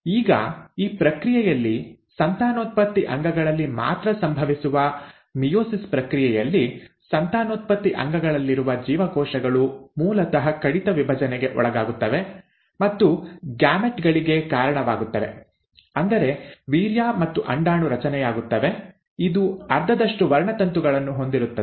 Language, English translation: Kannada, Now in this process, in the process of meiosis which happens only in the reproductive organs, the cells which are in the reproductive organs basically undergo reduction division and the give rise to gametes, that is, the formation of sperm and the ova, which has half the number of chromosomes